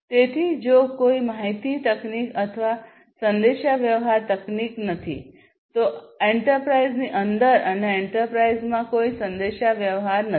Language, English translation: Gujarati, So, if there is no information technology or communication technology there is no communication within the enterprise and across enterprises